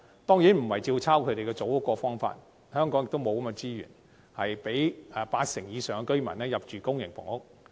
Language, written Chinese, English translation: Cantonese, 當然，我們並非照抄他們組屋的做法，香港本身亦不具備資源供八成以上居民入住公營房屋。, We certainly are not going to replicate their practice of providing Housing and Development Board HDB flats as Hong Kong does not have the resources to provide public housing to over 80 % of residents